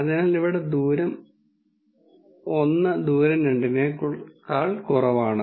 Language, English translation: Malayalam, So, here distance 1 is less than distance 2